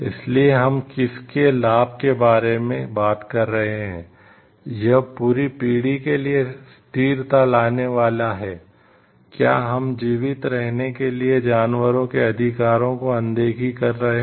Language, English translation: Hindi, So, whose benefit are we talking of, how is it is it going to bring like sustainability throughout the generations, are we ignoring the rights of the animals to survive